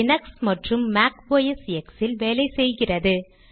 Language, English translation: Tamil, It is supposed to work on Linux, Mac OS X and also on Windows